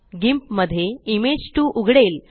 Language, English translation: Marathi, Image 2 opens in GIMP